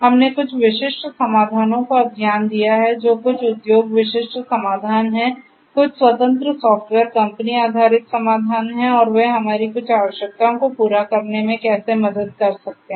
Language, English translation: Hindi, We have looked at certain specific solutions that are there some industry specific solutions, some software you know independent software company based solutions and so and how they can help in addressing some of our requirements